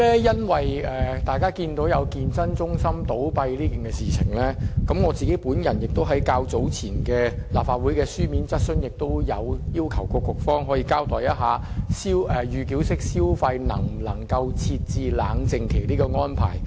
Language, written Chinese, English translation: Cantonese, 因應健身中心倒閉的事件，我在較早前亦提出書面質詢，要求當局交代，能否就預繳式消費設置冷靜期的安排。, With regard to the incident in which the fitness centre closed down I have put forth a written question to the authorities earlier asking them to advise us if it is possible to implement a cooling - off period for pre - payment mode of consumption